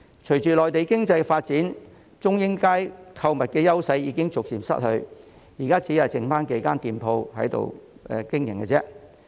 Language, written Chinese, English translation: Cantonese, 隨着內地經濟發展，中英街購物的優勢逐漸失去，現在只餘下數間店鋪在那裏經營。, With the development of the Mainland economy Chung Ying Street has gradually lost its edge as a shopping destination . At present there are only a few shops in operation